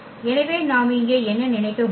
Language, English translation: Tamil, So, what we can think here